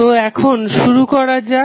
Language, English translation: Bengali, So, now let us start